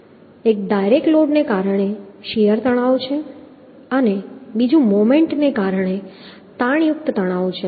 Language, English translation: Gujarati, One is the uhh shear stress due to direct load and another is the uhh tensile stress due to moment